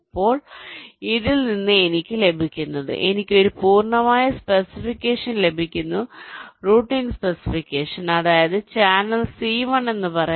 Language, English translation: Malayalam, now, from this what i get, i get a complete specification, routing specification i mean for, let say, channel c one